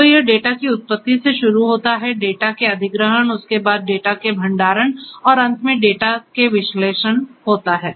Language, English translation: Hindi, So, it starts with generation of the data, acquisition of the data, there after storage of the data and finally, the analysis of the data